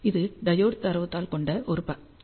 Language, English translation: Tamil, Here is a snapshot of the diode datasheet